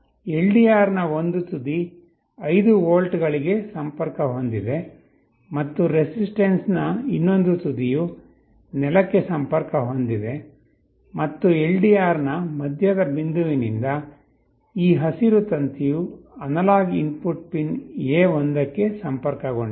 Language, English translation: Kannada, So, LDR and resistance are connected together in one junction one end of the LDR is connected to 5 volts, and the other end of the resistance is connected to ground, and from the middle point of the LDR, this green wire is getting connected to the analog input pin A1